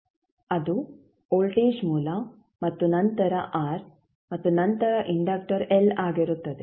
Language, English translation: Kannada, That would be the voltage source and then r and then inductor l